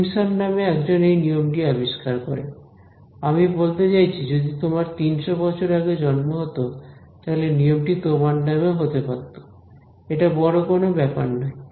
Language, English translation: Bengali, So, some person by the name of Simpson discovered this rule, I mean if you were born 300 years ago, it would be named after you right; it is nothing very great about it